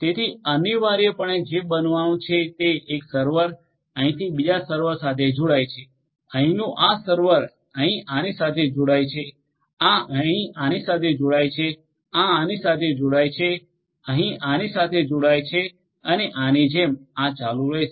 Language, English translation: Gujarati, So, essentially what is going to happen is one surfer from here is going to connect to another server over here, this server over here may connect to this one over here, this one may connect to this one over here, this one may connect to this one and this one may connect to this one and like this, this will continue